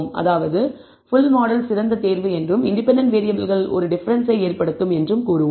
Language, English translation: Tamil, That is we will say the full model is better choice and the independent variables do make a difference